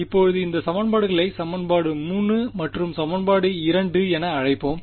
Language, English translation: Tamil, Now this equation over here let us call as equation 3 and equation 2 right